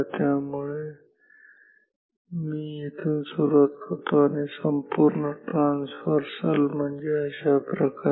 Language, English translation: Marathi, So, I start from here and a complete traversal means this